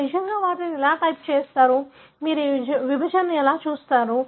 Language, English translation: Telugu, So, how do you really type them, how do you see this segregation